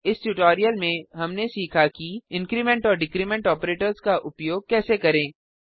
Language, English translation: Hindi, In this tutorial we learnt, How to use the increment and decrement operators